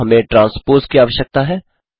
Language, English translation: Hindi, Now we need the transpose